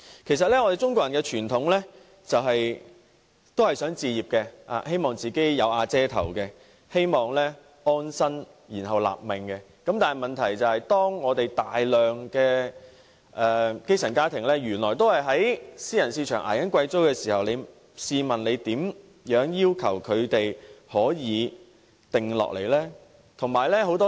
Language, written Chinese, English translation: Cantonese, 我們中國人的傳統思想，都是一心想置業，希望"有瓦遮頭"，有一個可以安身立命之所，但當大量基層家庭仍在私人市場捱貴租時，試問又如何要求他們安定下來？, Traditionally Chinese people always think that home acquisition is very important so that they can have a roof over their heads a place where they can settle down and pursuit the goals of their life . But when most grass - roots families have to pay high rents how can they settle down?